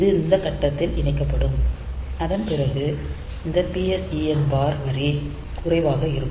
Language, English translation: Tamil, So, that will that will get latched at this point and when after that this PSEN bar line will go low